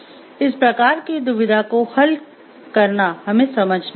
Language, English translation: Hindi, So, in solving this type of dilemma we have to understand